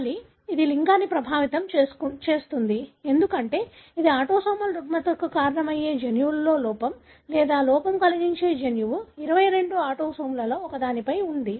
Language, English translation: Telugu, The gene that is causing the disorder or defect in the gene causing the disorder is located on one of the 22 autosomes